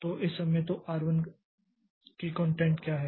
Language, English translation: Hindi, So, at this point of time, so what is the content of R1